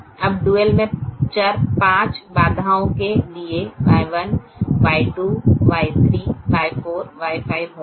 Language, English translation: Hindi, now the dual variables will be y one, y two, y three, y four, y five